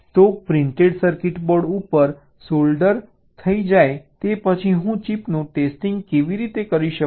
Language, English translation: Gujarati, so how do i test the chip once they are soldered on the printer circuit board